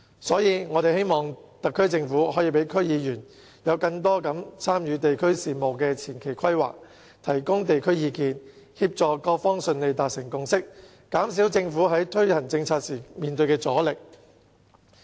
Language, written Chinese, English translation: Cantonese, 所以，我們希望特區政府可以讓區議員更多參與地區事務的前期規劃，提供有關地區的意見，協助各方順利達成共識，減少政府在推行政策時面對的阻力。, For this reason we hope that the SAR Government can allow DC members to play a bigger role in the preliminary planning of district affairs and offer advice related to local communities so as to assist various parties in reaching a consensus smoothly and reduce the resistance encountered by the Government in policy implementation